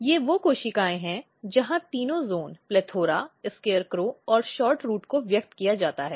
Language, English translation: Hindi, These are the cells where all three genes are expressed PLETHORA, SCARECROW and SHORTROOT